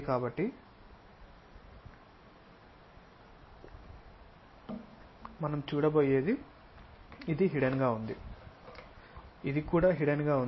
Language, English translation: Telugu, So, what we are going to have is this is hidden this one also hidden